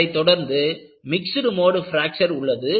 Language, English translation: Tamil, This will be followed by Mixed mode Fracture